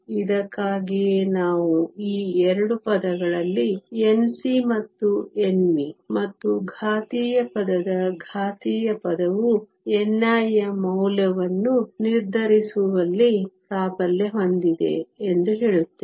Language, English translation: Kannada, This is why we say that out of these 2 terms N c and N v and the exponential term the exponential term is the one that dominates in determining the value for n i